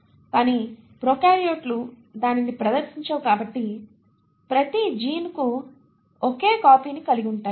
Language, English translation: Telugu, But since the prokaryotes do not exhibit that, for every gene they have only one copy, now that is interesting